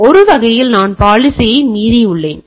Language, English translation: Tamil, So, in a sense I have violated the policy